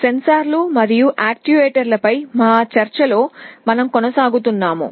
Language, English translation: Telugu, We continue with our discussion on Sensors and Actuators